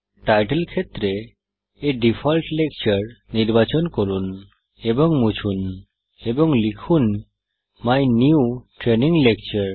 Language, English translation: Bengali, In the Title field, select and delete the name A default lecture and type My New Training Lecture